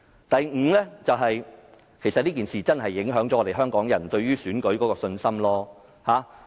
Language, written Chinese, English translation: Cantonese, 第五，這次事件確實影響了香港人對選舉制度的信心。, Fifth this incident has really affected Hong Kong peoples confidence in the electoral system